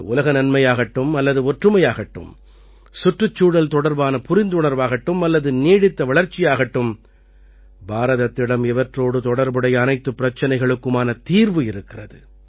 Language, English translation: Tamil, Whether it is peace or unity, sensitivity towards the environment, or sustainable development, India has solutions to challenges related to these